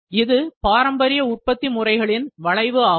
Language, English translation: Tamil, Now, this is generally in traditional manufacturing